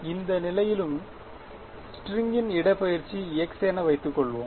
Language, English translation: Tamil, Its the displacement of the string at any position x ok